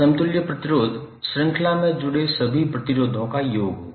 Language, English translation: Hindi, Equivalent resistance would be summation of all the resistances connected in the series